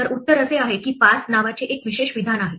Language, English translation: Marathi, So the answer is, that there is a special statement called pass